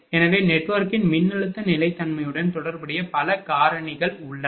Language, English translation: Tamil, So, there are many factors the associated, that with voltage stability of the network